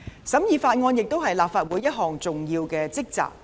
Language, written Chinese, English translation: Cantonese, 審議法案亦是立法會的重要職責。, The scrutiny of bills is also an important task of the Legislative Council